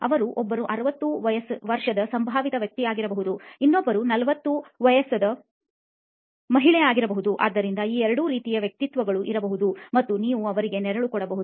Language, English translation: Kannada, So one could be a sixty year old gentleman the other could be a forty year old lady, so you could have these two types of personas and you could be shadowing them as well